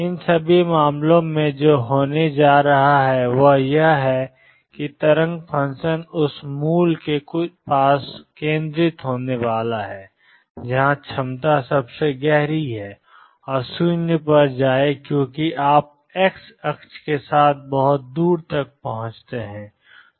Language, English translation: Hindi, In all these case what is going to happen is that the wave function is going to be concentrated near the origin of where the potential is deepest and go to 0 as you reach distance very far along the x axis